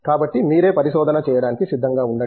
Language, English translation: Telugu, So, get yourself prepared to do research